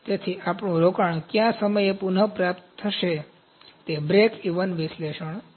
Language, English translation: Gujarati, So, at what time would our investment be recovered, so that is breakeven analysis